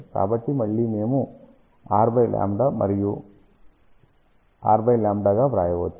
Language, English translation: Telugu, So, again we can write as r by lambda and r by lambda